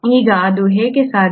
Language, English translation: Kannada, Now how is that possible